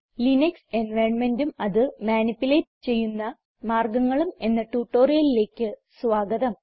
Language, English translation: Malayalam, Welcome to this spoken tutorial on the Linux environment and ways to manupulate it